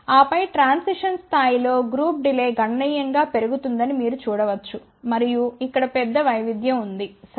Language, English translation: Telugu, And then at the transition level you can see that the group delay increases significantly and then there is a large variation over here, ok